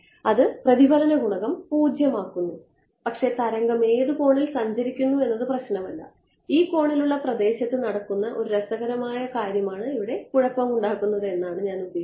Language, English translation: Malayalam, That is making the reflection coefficient 0, but the wave is travelling at any angle does not matter the trouble is I mean the interesting thing happening at this corner region over here right